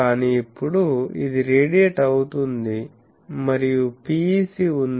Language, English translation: Telugu, But now this is radiating and that there is a PEC